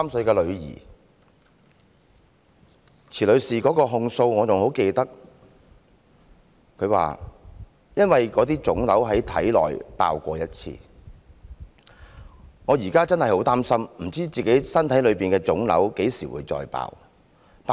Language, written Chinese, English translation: Cantonese, 我仍然記得池女士的控訴，她說："因為體內的腫瘤已爆過一次，我現在真的很擔心，不知體內的腫瘤何時再爆。, I can still recall the grievances she expressed . She said As the tumours in my body burst once before I am really worried about when the tumours will burst again